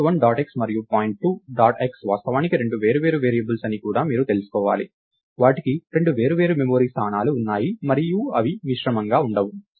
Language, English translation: Telugu, You should also know that point 1 dot x and point 2 dot x are actually two different variables, they have two separate memory locations and they don't get mixed up